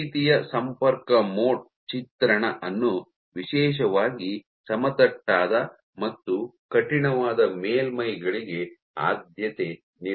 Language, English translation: Kannada, So, this kind of contact mode of imaging is particularly preferred for very flat and rigid surfaces